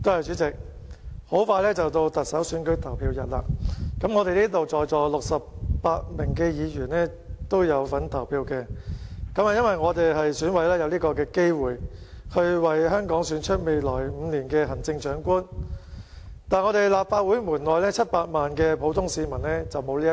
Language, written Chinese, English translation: Cantonese, 主席，特首選舉投票日很快就到，在座68位議員都有份投票，因為我們都是選舉委員會委員，有機會為香港選出未來5年的行政長官，但立法會門外700多萬名普通市民則不能夠投票。, President it will be the Chief Executive Election day very soon and all 68 Members present have the right to vote because we are all Election Committee EC members and we have the opportunity to elect the Chief Executive for the next five years but over 7 million ordinary citizens outside this Council cannot vote